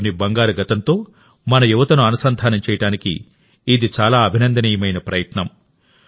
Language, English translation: Telugu, This is a very commendable effort to connect our youth with the golden past of the country